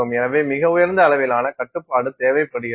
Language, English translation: Tamil, And therefore, a much higher level of control is required